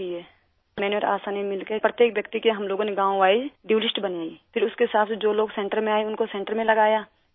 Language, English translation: Urdu, ASHA and I together prepared a village wise DUE list…and then accordingly, people who came to the centre were administered at the centre itself